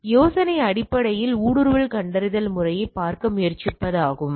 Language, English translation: Tamil, This idea is basically try to look at the intrusion detection system